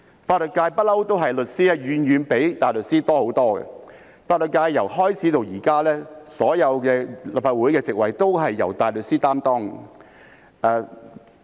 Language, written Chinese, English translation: Cantonese, 法律界一向都是律師的人數遠比大律師多很多，法律界從開始至今，所有立法會議席都是由大律師擔任。, In the legal sector the number of solicitors has always been far greater than that of barristers . Since the very beginning the Legislative Council seat for the legal sector has been held by barristers